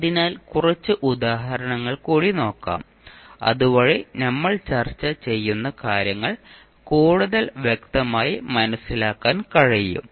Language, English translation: Malayalam, So Nnow let’ us see few of the example, so that we can understand what we discuss till now more clearly